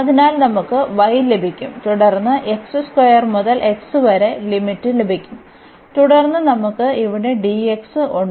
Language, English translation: Malayalam, So, we will get y and then the limit x square to x and then we have here dx